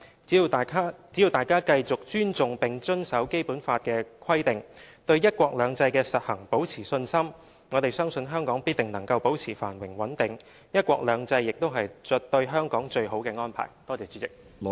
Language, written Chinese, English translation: Cantonese, 只要大家繼續尊重並遵守《基本法》的規定，對"一國兩制"的實行保持信心，我們相信香港必定能夠保持繁榮穩定，"一國兩制"亦是對香港最好的安排。, As long as we continue to respect and abide by the provisions of the Basic Law and have faith in the implementation of one country two systems we believe that Hong Kong will certainly be able to maintain prosperity and stability and one country two systems is the best arrangement for Hong Kong